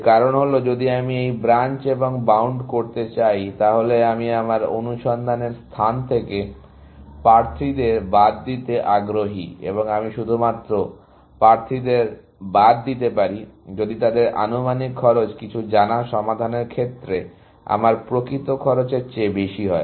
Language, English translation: Bengali, The reason for that is that, if I am going to do this Branch and Bound, I am interested in excluding candidates from my search space, and I can only exclude candidates, if their estimated cost is higher than my actual cost of some known solutions